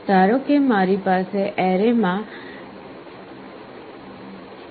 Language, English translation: Gujarati, Suppose I have 128 numbers in the array